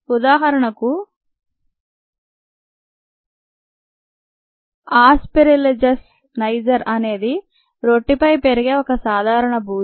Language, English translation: Telugu, for example, aspergillus niger is a common mold that grows on bread